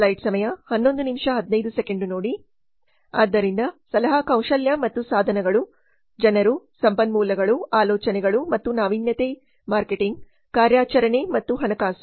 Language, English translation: Kannada, So consulting skills and tools the people resources, ideas and innovation, marketing operations and finance